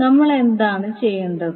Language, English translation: Malayalam, So what we will do now